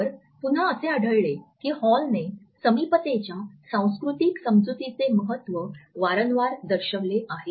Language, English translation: Marathi, So, again we find that Hall has repeatedly highlighted the significance of cultural understanding of proximity